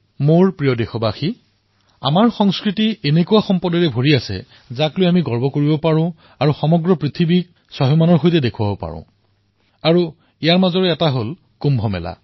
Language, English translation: Assamese, My dear countrymen, there is an abundance of events in our culture, of which we can be proud and display them in the entire world with pride and one of them is the Kumbh Mela